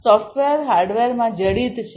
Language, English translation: Gujarati, So, the software is embedded in the hardware